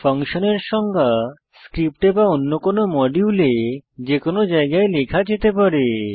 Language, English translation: Bengali, Note: function definition can be written anywhere in the script or in another module